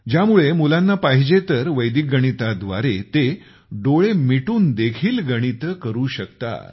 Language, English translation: Marathi, So that if the children want, they can calculate even with their eyes closed by the method of Vedic mathematics